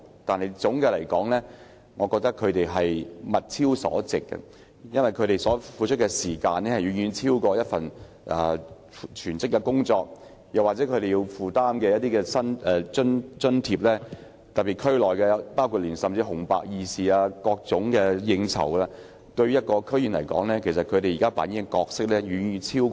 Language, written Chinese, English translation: Cantonese, 但總的來說，我覺得他們"物超所值"，因為他們付出的時間，遠遠超過為一份全職工作付出的時間，而且他們更要以得到的津貼，應付不同事務，甚至包括所屬地區的紅白二事和應酬等。, But all in all I think that they are worth more than the money spent because the amount of time spent by them is far more than that spent on a full - time job . Moreover they have to spend their allowances on dealing with different affairs including even weddings and funerals entertainments and so on in their respective districts